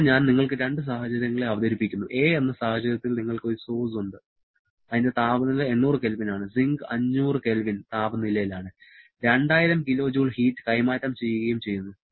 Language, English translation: Malayalam, Here, I am presenting you with two situations; in situation ‘a’ you have a source at temperature 800 Kelvin and sink at temperature 500 Kelvin and exchanging 2000 kilo joule of heat